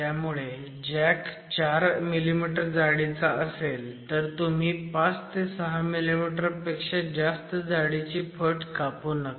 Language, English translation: Marathi, So, if the flat jack is about 4 millimetres, you should not make a cut which is more than about 5 to 6 millimetres